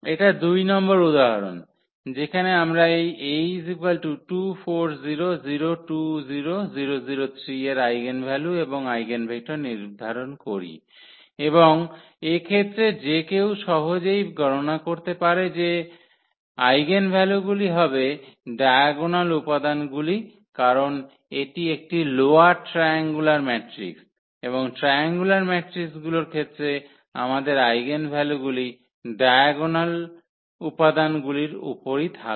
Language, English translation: Bengali, So this example 2, where we determine the eigenvalues and eigenvectors of this A the matrix is given here 2 4 0 0 2 0 0 0 3 and in this case one can compute easily the eigenvalues will be the diagonal entries because it is a lower triangular matrix and for the triangular matrices, we have all the eigenvalues sitting on the diagonals here